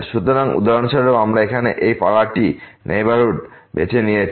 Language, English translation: Bengali, So, for example, we have chosen this neighborhood here